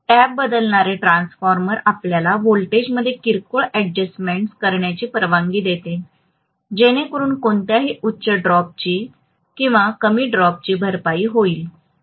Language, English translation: Marathi, So the tap changing transformer allows you to make minor adjustments in the voltage, so that any higher drop or lower drop is compensated for